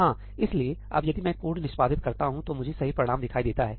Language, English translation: Hindi, Yeah, so, now if I execute the code, I see the correct result